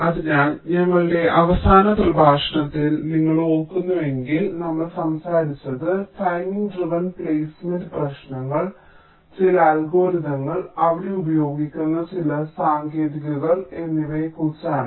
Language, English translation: Malayalam, so, if you recall, in our last lecture we were talking about the timing driven placement issues, some algorithms and some techniques that are used there